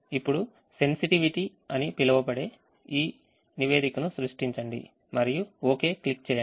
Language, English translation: Telugu, now create this report called sensitivity and click ok so it creates a sensitivity report